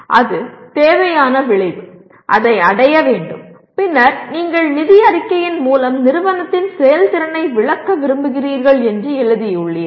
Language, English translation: Tamil, That is also necessary outcome; that needs to be attained and then having written that you want to explain the performance of the organization through the financial statement